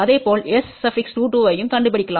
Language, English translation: Tamil, And similarly we can find out S 22